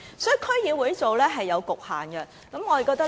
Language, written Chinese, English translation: Cantonese, 所以，區議會做這些工作是有局限的。, Hence DCs are subject to limitations in doing such work